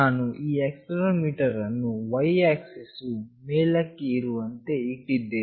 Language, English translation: Kannada, I have put up the accelerometer with y axis at the top